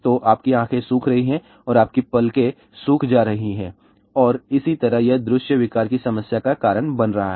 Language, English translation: Hindi, So, your eyes are getting dried up, your lips are getting dried up and so on and that is leading to lot of visual disorder problem